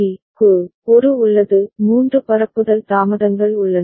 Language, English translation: Tamil, So, there is a there are three propagation delays